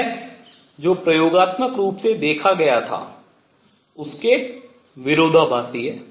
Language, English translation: Hindi, This is contradiction to what was observed experimentally